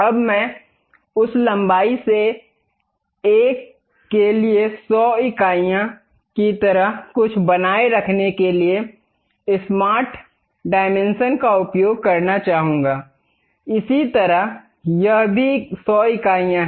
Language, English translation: Hindi, Now, I would like to use smart dimensions to maintain something like 100 units for one of that length; similarly this one also 100 units